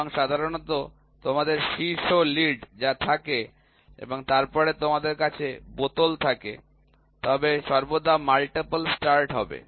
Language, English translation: Bengali, And, generally what you have on top lead and then you have a bottle, they will always have a multiple start